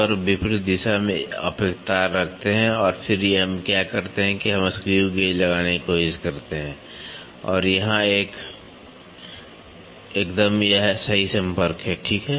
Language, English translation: Hindi, And, in the opposite side you keep one wire and then what we do is we try to put the screw gauge, and here it is a perfect contact, ok